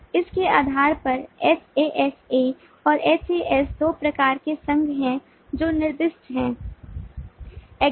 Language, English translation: Hindi, so, based on this hasa and has, there are two kinds of association which are specified